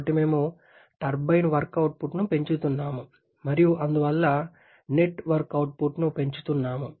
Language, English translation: Telugu, So, we are having increased turbine work output and therefore increased net work output